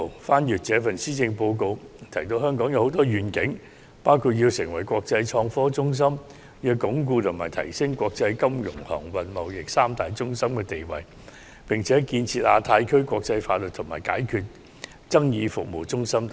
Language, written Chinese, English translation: Cantonese, 細閱今年的施政報告，香港的願景很多，包括要成為國際創科中心、鞏固及提升國際金融、航運、貿易三大中心的地位，並且建設成為亞太區的國際法律及解決爭議服務中心等。, A perusal of this years Policy Address reveals many visions proposed for Hong Kong including developing Hong Kong into an international information and technology hub consolidating and enhancing Hong Kongs status as an international financial transport and trade centre establishing Hong Kong as a centre for international legal and dispute resolution services in the Asia - Pacific region and so on